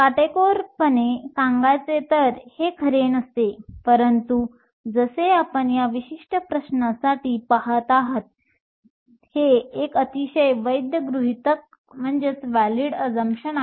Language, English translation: Marathi, Strictly speaking, this is not true, but as you see for this particular question, this is a very valid assumption